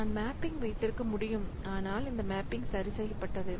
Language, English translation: Tamil, So, I can have mapping, but this mapping is fixed